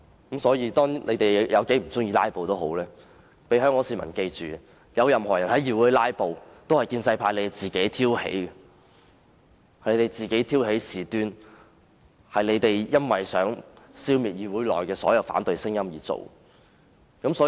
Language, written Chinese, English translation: Cantonese, 不管香港市民有多不喜歡"拉布"，他們也要記緊，任何人在議會"拉布"都是由建制派挑起的，是他們挑起事端的，是他們想消滅議會內的反對聲音而引起的。, No matter how Hong Kong people dislike filibustering they should bear in mind that filibustering in this Council is provoked by the pro - establishment camp . Pro - establishment Members have triggered the conflict by attempting to silence opposition in this Council